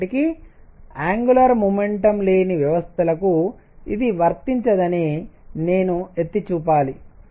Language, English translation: Telugu, However, I must point out that it cannot be applied to systems which do not have angular momentum